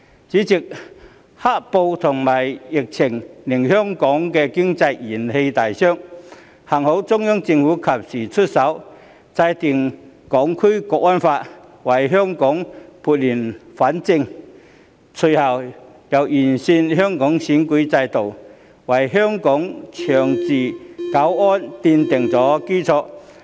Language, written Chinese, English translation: Cantonese, 主席，"黑暴"和疫情令香港經濟元氣大傷，幸好中央政府及時出手，制定《香港國安法》，為香港撥亂反正，隨後又完善香港選舉制度，為香港的長治久安奠定基礎。, President Hong Kongs economy has been hit hard by black - clad violence and the epidemic but fortunately the Central Government has taken timely action to enact the Hong Kong National Security Law thereby bringing order out of chaos and righting the wrong . It has also improved the electoral system of Hong Kong subsequently which has laid a foundation for achieving long - term peace and stability in the territory